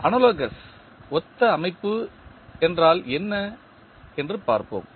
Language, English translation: Tamil, Let us see what does analogous system means